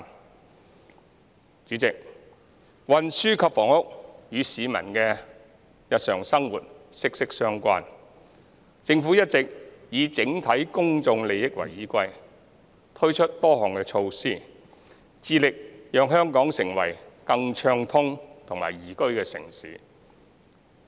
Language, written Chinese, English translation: Cantonese, 代理主席，運輸及房屋與市民的日常生活息息相關，政府一直以整體公眾利益為依歸，推出多項措施，致力讓香港成為更暢通和宜居的城市。, Deputy President transport and housing are closely linked with the daily life of the public . With the overall public interests as the paramount concern the Government has introduced many measures in an effort to make Hong Kong a better connected and more liveable city